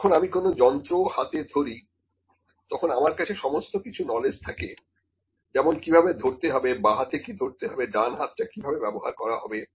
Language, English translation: Bengali, When I have held the instrument, I have the knowledge of all the things how to hold that, what to hold in my left hand, how to use my right hand